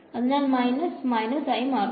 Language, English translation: Malayalam, So, minus minus become